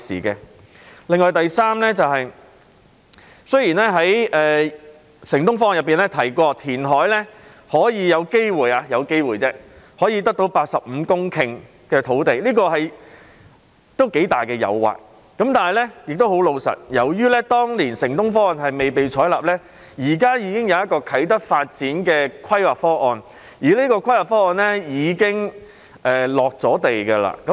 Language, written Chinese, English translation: Cantonese, 此外，雖然"城東方案"提到填海有機會——只是"有機會"——可以得到85公頃土地，這是頗大的誘惑，可是，坦白說，由於當年"城東方案"未被採納，現時已有啟德發展的規劃方案，而這項規劃方案亦已經"落地"。, Moreover Project City - E mentioned the possibility―it was only a possibility―that 85 hectares of land could be obtained through reclamation which was quite tempting . But frankly speaking since Project City - E was not accepted back then now a planning proposal for the development of Kai Tak is already in place and this planning proposal is being put into practice